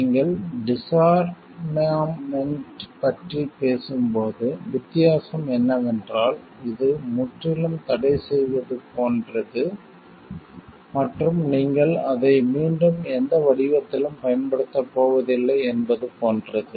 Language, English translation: Tamil, The difference is like when you are talking of a disarmament, it is totally like banning and it is like you are not going to use it in any form again